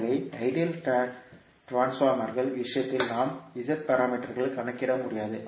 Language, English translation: Tamil, So, that is why in case of ideal transformers we cannot calculate the Z parameters